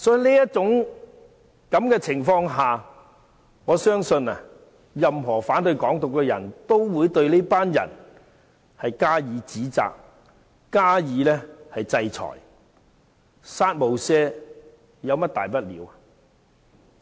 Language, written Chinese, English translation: Cantonese, 所以，在這種情況下，我相信任何反對"港獨"的人，也會對這群人加以指責、加以制裁，"殺無赦"有何大不了？, Under such circumstance I believe anyone who opposes Hong Kong independence will reproach and impose sanctions on this group of people . What is the big deal about a kill without mercy remark?